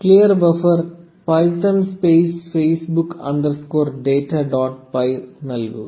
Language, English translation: Malayalam, Clear buffer, python space facebook underscore data dot py, enter